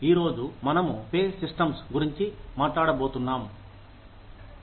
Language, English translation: Telugu, Today, we are going to talk about, pay systems